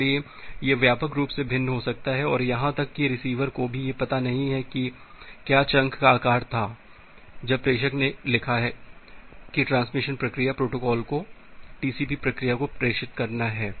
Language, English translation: Hindi, So, that may widely differ and even the receiver does not know that at which or a what was the chunk size when the sender has written that to the transmit process to the transmission control protocol to the TCP process